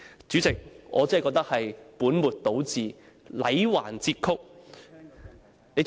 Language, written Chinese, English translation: Cantonese, "主席，我真的認為這才是本末倒置、戾橫折曲。, President I really think that this description is putting the cart before the horse and is full of blatant distortions